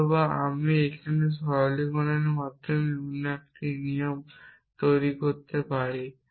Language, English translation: Bengali, Therefore, I can produce p here by simplification there another rule